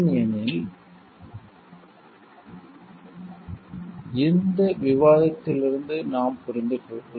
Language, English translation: Tamil, Because if we understand from this discussion